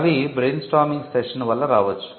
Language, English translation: Telugu, They may result from brainstorming sessions